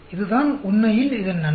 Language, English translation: Tamil, That is the advantage of this actually